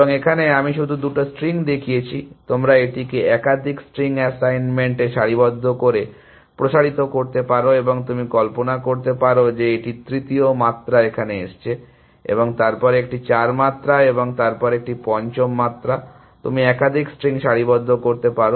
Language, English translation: Bengali, And here, I have just shown two strings, you can extend this to multiple strings assignments, alignments and you can imagine a third dimension coming here and then a four dimension and then a fifth dimension , you can align multiple strings